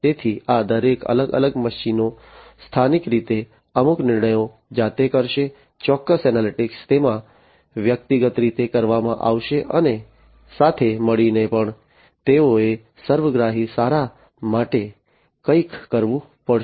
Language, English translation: Gujarati, So, each of these different machines will locally perform certain decisions themselves, certain analytics will be performed in them individually plus together also they will have to do something, for the holistic good